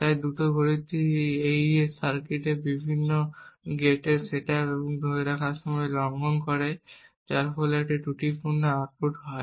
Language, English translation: Bengali, So this fast clock violates setup and hold times of various gates in this AES circuit resulting in a faulty output